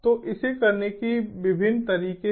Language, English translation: Hindi, so there are different aspects like what